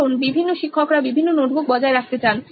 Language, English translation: Bengali, Because different teachers want it to be maintained as different notebooks